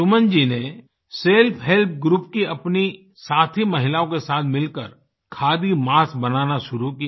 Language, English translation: Hindi, Suman ji , alongwith her friends of a self help group started making Khadi masks